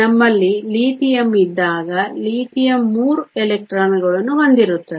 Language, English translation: Kannada, When we have Lithium, Lithium has 3 electrons